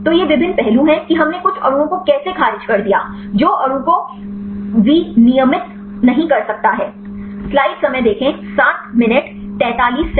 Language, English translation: Hindi, So, these are the various aspect how we rejected some molecules; which may not be regulate molecule